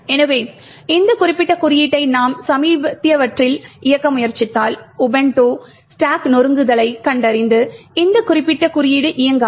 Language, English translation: Tamil, So, quite likely if you try to run this particular code on your latest for example Ubuntu systems you would get stack smashing getting detected and this particular code will not run